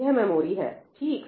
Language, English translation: Hindi, This is the memory, Right